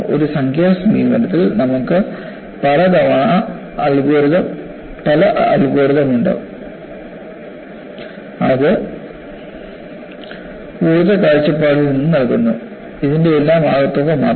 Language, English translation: Malayalam, In a numerical approach, many times, you have algorithms, which give you, from energy point of view, only the bundle of all this